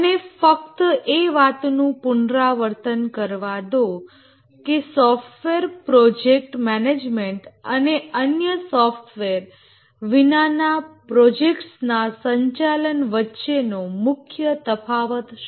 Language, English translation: Gujarati, Let me just repeat that what is the main difference between software project management and management of other projects, non software projects